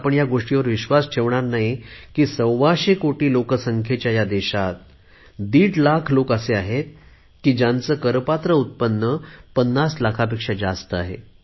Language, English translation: Marathi, None of you will believe that in a country of 125 crore people, one and a half, only one and a half lakh people exist, whose taxable income is more than 50 lakh rupees